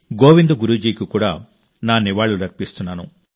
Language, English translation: Telugu, I also pay my tribute to Govind Guru Ji